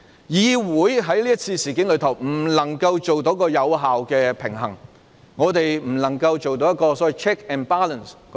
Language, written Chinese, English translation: Cantonese, 議會在這次事件中未能發揮有效平衡，我們未能做到 check and balance。, In this incident this Council was unable to strike an effective balance and we failed to exercise check and balance properly